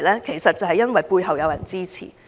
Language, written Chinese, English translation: Cantonese, 正是因為背後有人支持。, That is because they have backup